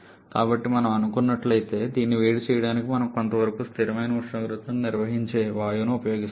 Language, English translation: Telugu, So, if we are supposed to heat this one, we are using a gas which is maintaining a constant temperature somewhat like this